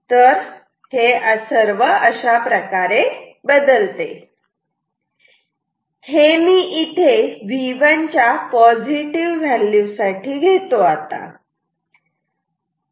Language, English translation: Marathi, So, this is how it moves let me keep it here this is for some value of V 1 positive V 1 ok